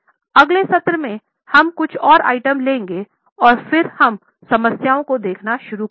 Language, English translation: Hindi, In the next session we will take a few more items and then we will start looking at the problems